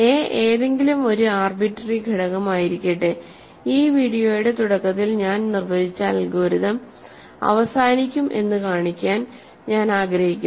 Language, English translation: Malayalam, So, let small a be any arbitrary element, I want to show that the algorithm that I defined at the beginning of this video terminates